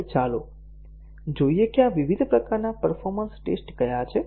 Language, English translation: Gujarati, Now let us see what are these different types of performance tests that are performed